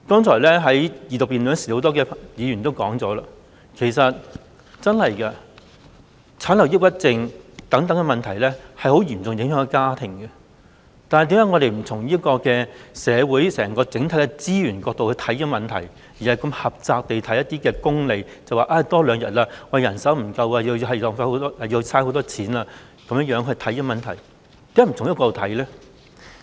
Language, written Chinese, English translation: Cantonese, 有多位議員剛才在二讀辯論時已提到，產後抑鬱症等問題會嚴重影響家庭，但我們為何不從社會整體資源這個角度來檢視這問題，而是如此狹窄地從功利的角度來看待問題，例如侍產假多了2天，便會造成人手不足、僱主要花很多錢等？, As mentioned by a number of Members during the Second Reading debate problems like postpartum depression will seriously affect a family . However why do we not look at this issue from the perspective of social resources as a whole instead of looking at it from a narrow utilitarian angle focusing on manpower shortage and the increase in operating cost brought by an extra two days of paternity leave?